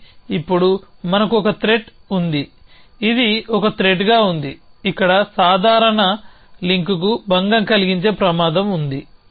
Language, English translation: Telugu, But now, we have a threat this is being is a threat in this is threat in to disturb this casual link here